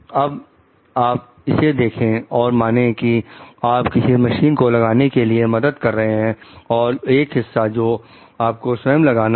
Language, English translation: Hindi, Now, if you go for this like suppose, you are helping to install some equipment you have to install one component by yourself